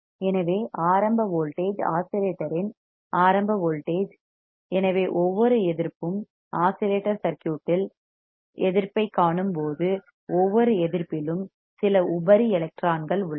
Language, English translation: Tamil, So, the starting voltage the starting voltage of the oscillator, so every resistance you see the resistance in the oscillator circuit, every resistance has some free electrons